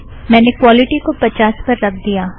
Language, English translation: Hindi, I have reduced the quality to 50